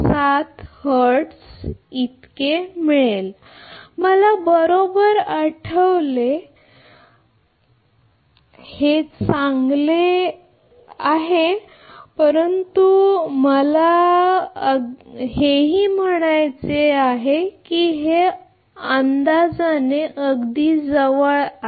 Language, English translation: Marathi, 0117 hertz or if I recall correctly right, but this is a good approximation I mean very close actually and this is also